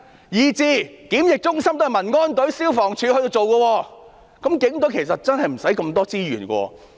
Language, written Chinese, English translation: Cantonese, 連檢疫中心也是民安隊和消防處負責。那麼，警隊真的無需這麼多資源。, When quarantine centres are also manned by the Civil Aid Service and the Fire Services Department the Police Force do not need so much resources